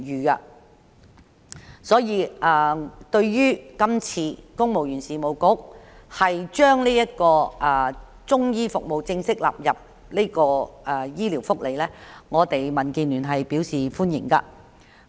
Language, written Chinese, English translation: Cantonese, 因此，對於公務員事務局把中醫服務正式納入醫療福利，民建聯表示歡迎。, Hence DAB welcomes the formal incorporation of Chinese medicine service into the medical benefits by the Civil Service Bureau